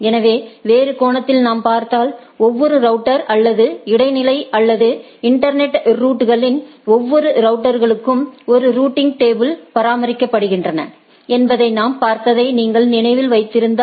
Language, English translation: Tamil, So, in other sense if we see, if you recollect that what we have seen that every router or in intermediate or in the internet routers every routers maintain a routing table